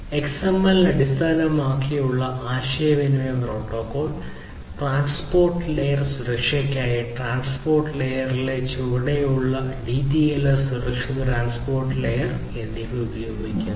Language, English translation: Malayalam, So, the communication protocol XMPP is based on XML and it uses DTLS secure transport layer at the bottom in the transport layer for transport layer security